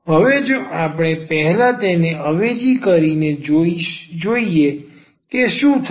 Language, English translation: Gujarati, Now, if we substitute this first here let us see what will happen